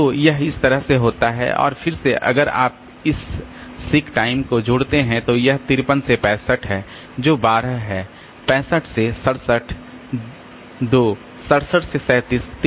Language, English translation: Hindi, And again if you sum up this 6 times, then this is from 53 to 65 that is 12, from 65 to 67 2, from 67 to 37